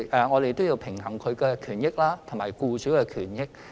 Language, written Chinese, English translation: Cantonese, 我們要平衡外傭與僱主兩者的權益。, We must strike a balance between the interests of FDHs and those of employers